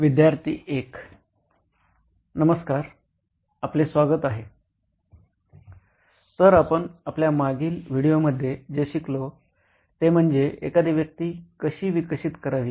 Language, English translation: Marathi, Hi guys welcome back, so in our previous video what we’ve learned is how to develop a persona